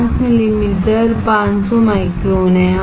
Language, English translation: Hindi, 5 millimetres is 500 microns